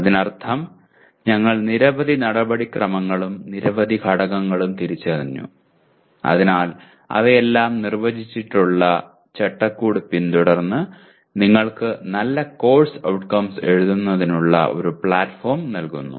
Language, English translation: Malayalam, That means we gave several procedures and several factors identified so that following that; following are a framework that is defined by all of them that provides you a platform for writing good course outcome statements